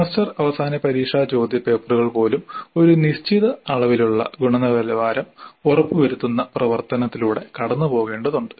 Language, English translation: Malayalam, Even semester and examination papers have to go through certain amount of quality assurance activity